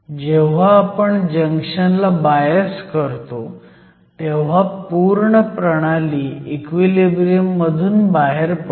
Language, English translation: Marathi, When you bias a junction, the system is no longer in equilibrium